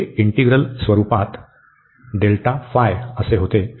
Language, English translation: Marathi, So, what is this integral